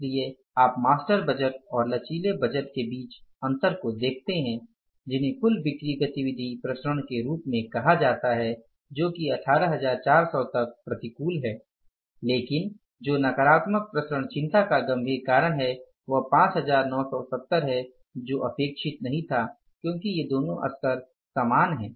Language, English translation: Hindi, So, you see these variances which are between the master budget and the flexible budget they are called as the total sales activity variance which is to the tune of 18,400 unfavorable but this variance is a serious cause of concern that is 5 970 which was not expected to be there because these two levels are same, 7,000 budget, 7,000 actual performance